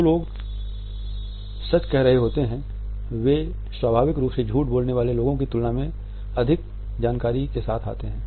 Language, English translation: Hindi, People who are telling the truth tend to be more forth coming with information then liars who are naturally evasive